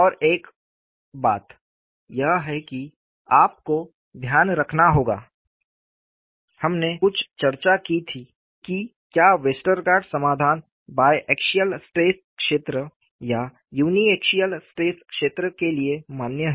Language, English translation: Hindi, And, one more thing is, you have to keep in mind, we had some discussion whether Westergaard solution is valid for biaxial stress filed or uniaxial stress field, then we argued in fashion